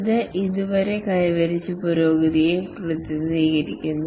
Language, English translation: Malayalam, This represent the progress achieved so far